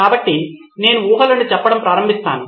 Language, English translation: Telugu, So I will start with stating the assumptions